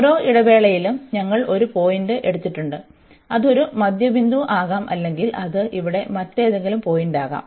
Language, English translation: Malayalam, And then in each interval we have taken a point, it could be a middle point or it can be any other point here